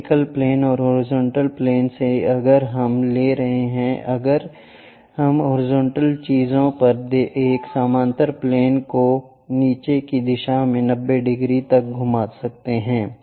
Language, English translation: Hindi, From the vertical plane and horizontal plane, if we are taking if we can rotate a parallel plane on the horizontal thing by 90 degrees in the downward direction